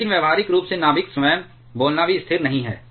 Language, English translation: Hindi, But practically speaking the nucleus itself is also not stationary